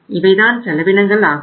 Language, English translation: Tamil, These are the costs